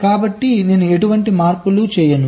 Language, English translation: Telugu, so i do not make any changes